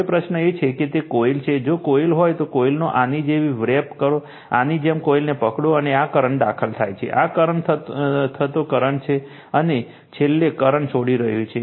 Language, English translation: Gujarati, Now, question is that it is a coil, if you have a coil, you wrap the coil like this, you grabs the coil like this, and this is the current is entering right, this is the current entering, this is the curren, and finally the current is leaving